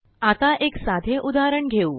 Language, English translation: Marathi, Let us go through a simple example